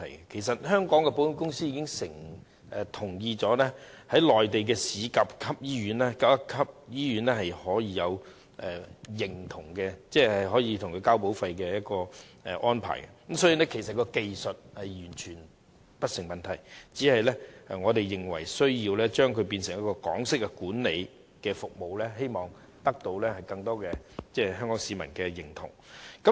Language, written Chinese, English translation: Cantonese, 其實，香港的保險公司同意納入一些內地的甲級醫院，可以接受繳交保費的安排，所以技術上完全不成問題，只是我們認為有需要將醫院改為採用港式管理，希望得到更多香港市民認同。, Actually Hong Kongs insurance companies have agreed to include some Grade - A Mainland hospitals and they can accept the arrangements for premium payments . So technically there is no problem at all only that we consider it necessary for hospitals to instead adopt Hong Kong - style management so as to gain the approval of more Hong Kong people